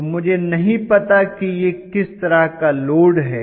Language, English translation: Hindi, So I do not know what sort of load it is